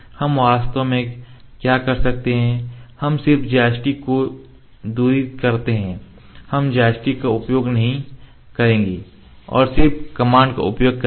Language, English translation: Hindi, What we do we actually just put the plastic away we would not use the joystick and just using